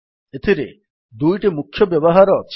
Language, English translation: Odia, It has two major uses